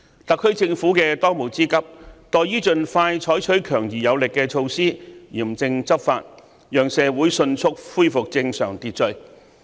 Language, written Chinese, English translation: Cantonese, 特區政府的當務之急，在於盡快採取強而有力的措施，嚴正執法，讓社會迅速恢復正常秩序。, The most urgent task of the SAR Government at the moment is to take expeditious powerful and effective measures and stringently enforce the law to resume social order immediately